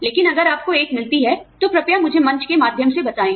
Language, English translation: Hindi, But, if you come across one, please, let me know, through the forum